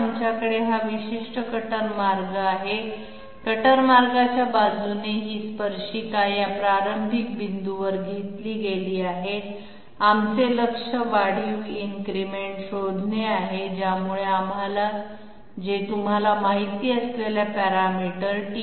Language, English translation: Marathi, We have here this particular cutter path, along the cutter path this tangent has been taken at this initial point, our target is to find out the incremental increase which will which will allow us to reach this point designated by you know parameter t 2, from parameter value t 1